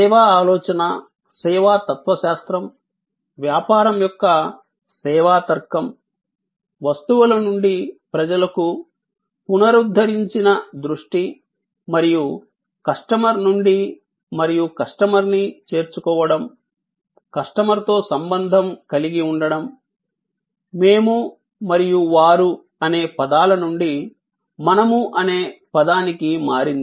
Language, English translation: Telugu, And the service thinking, service philosophy, service logic of business as a big role to play in this paradigm shift from objects to people, from the renewed focus and the customer and engaging with the customer's, involving the customer, changing from we and they to us